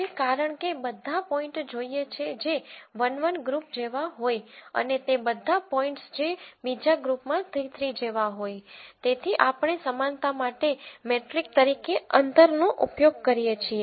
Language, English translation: Gujarati, Now, since we want all the points that are like 1 1 to be in one group and all the points which are like 3 3 to be in the other group, we use a distance as a metric for likeness